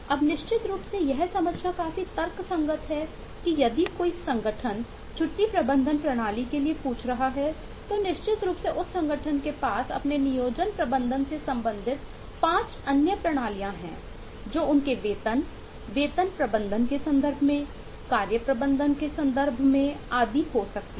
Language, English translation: Hindi, now, certainly it is quite logical to understand that if the organisation is asking for a leave management system, then certainly that organisation has 5 other systems relating to their employing management may be in terms of a task management, in terms of their payrolls and salary management and so on